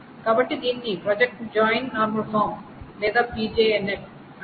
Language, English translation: Telugu, So that is called the project join normal form or PJNF